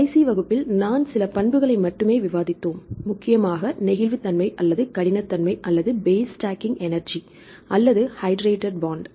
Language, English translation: Tamil, Last class we discussed only few properties right mainly the flexibility or rigidity or the base stacking energy or hydrated bond